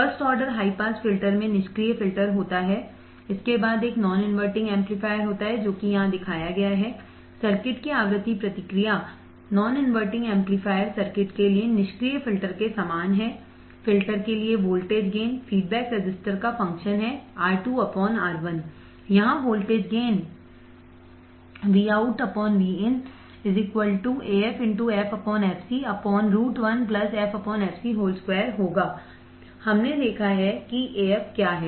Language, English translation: Hindi, The first order high pass filter consists of passive filter followed by an non inverting amplifier it is shown here, the frequency response of the circuit is the same as that of passive filter for non inverting amplifier circuit, the voltage gain for the filter is function of feedback resistor R 2 divided by R 1 voltage gain here is Af into f by f c by under square root of 1 plus f by f c whole square